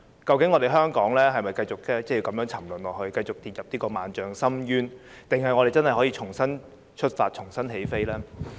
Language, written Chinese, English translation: Cantonese, 究竟香港是否要如此沉淪，跌進萬丈深淵，還是真的可以重新出發，重新起飛呢？, Does Hong Kong have to fall into this deep abyss? . Or can it embark on a new journey and take off again?